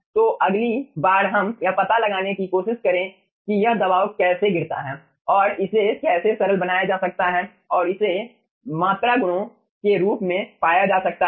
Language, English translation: Hindi, so next let us try to find out that this ah pressure drop, how that can be simplify and found out in the form of ah volumetric qualities